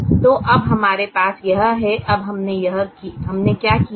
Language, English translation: Hindi, so we now have this